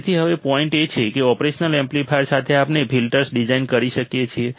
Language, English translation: Gujarati, So, now the point is that with the operational amplifiers we can design filters